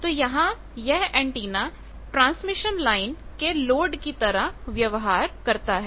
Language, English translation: Hindi, So, that antenna behaves as a load to the transmission line